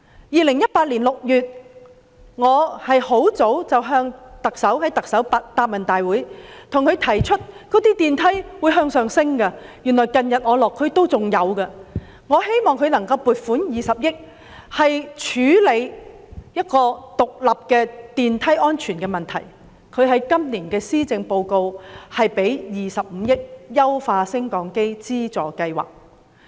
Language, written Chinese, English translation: Cantonese, 2018年6月，在行政長官答問會上，我向她提出升降機故障不斷上升的問題，而我近日落區仍見有此情況，我希望特首撥款20億元來獨立處理升降機的安全問題，而在今年的施政報告，她便撥款25億元推行"優化升降機資助計劃"。, In June 2018 at the Chief Executives Question and Answer Session I mentioned to her the rise in the number of cases involving lift breakdowns and that I found the situation persisted during my visits to various districts . I wished the authorities would allocate 2 billion to handling issues relating to lift safety independently . Then in the Policy Address this year she allocated 2.5 billion to launch of the Lift Modernization Subsidy Scheme